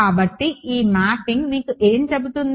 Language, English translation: Telugu, So, what is this mapping tell you